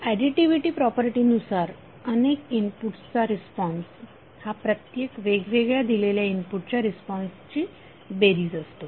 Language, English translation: Marathi, So additivity property will say that the response to a sum of inputs is the sum of responses to each input applied separately